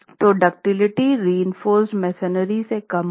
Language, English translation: Hindi, So, ductility is expected to be lower than reinforced masonry